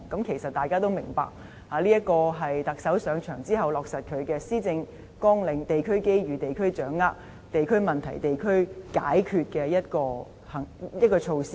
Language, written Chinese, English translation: Cantonese, 其實，大家也明白，這是特首上任後落實他的施政綱領，即"地區機遇，地區掌握；地區問題，地區解決"的一項措施。, In fact we all understand that these projects arose out of the measures taken by the Chief Executive after taking office to implement his Policy Agenda that is Addressing district issues at the local level and capitalising on local opportunities